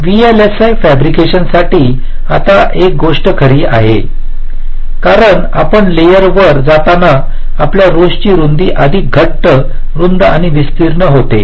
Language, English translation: Marathi, now one thing is true for vlsi fabrications: as you move up and up in the layers, the width of your lines become thicker and thicker, wider and wider